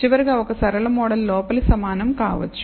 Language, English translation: Telugu, And lastly of course, a linear model maybe inner equates